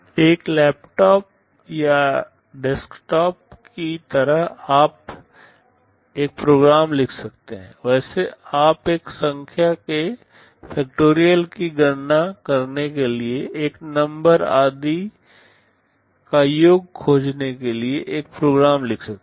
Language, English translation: Hindi, Like a laptop or a desktop you can write a program, well you can write a program to compute the factorial of a number, to find the sum of n numbers etc